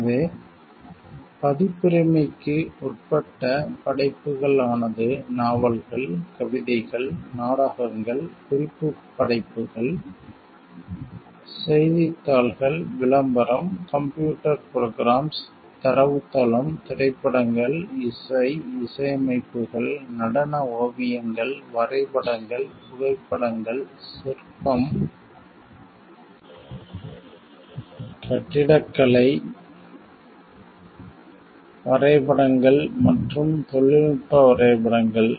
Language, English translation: Tamil, So, works which are covered by copyright include, but are not limited to novels, poems, plays, reference works, newspapers, advertisement, computer programs, database, films, music, compositions, choreography, paintings, drawings photographs, sculpture, architecture, maps and technical drawings